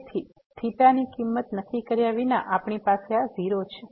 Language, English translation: Gujarati, So, without fixing the value of the theta, we have approach to this 0